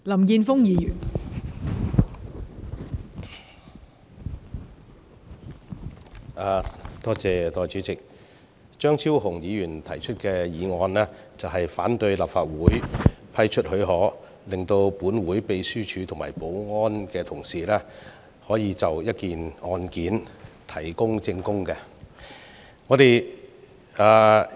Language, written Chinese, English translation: Cantonese, 代理主席，張超雄議員提出"拒絕給予許可"的議案，反對讓立法會秘書處和保安同事就一宗案件提供證據。, Deputy President Dr Fernando CHEUNG has proposed the motion that the leave be refused objecting to colleagues of the Legislative Council Secretariat and the Security Office giving evidence in a case